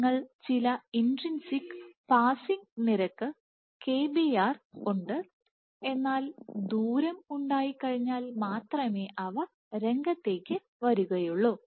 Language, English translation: Malayalam, So, you have some intrinsic passing rate kbr, but that will only come to play after you have the distance